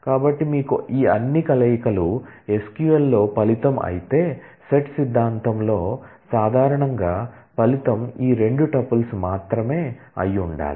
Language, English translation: Telugu, So, you will have all possible combinations all these 6 are the result in the SQL whereas, in set theory typically the result should have been only these 2 tuples